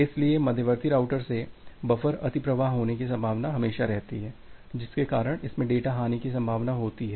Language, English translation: Hindi, So, there is always a possibility of buffer overflow from the intermediate routers because of which there is a possibility of data loss